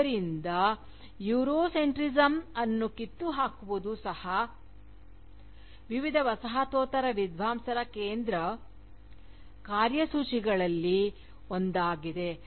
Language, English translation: Kannada, So, even though, dismantling Eurocentrism, still remains one of the central agendas of, various Postcolonial scholars